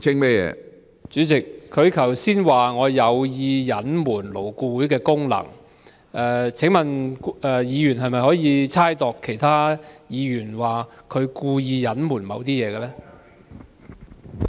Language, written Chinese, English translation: Cantonese, 主席，他剛才說我有意隱瞞勞顧會的功能，請問議員可否猜度其他議員的動機，指他們故意隱瞞某些事情？, President Mr KWOK said that I intentionally concealed the functions of LAB . Can Members speculate the motive of other Members and allege that they have intentionally concealed certain information?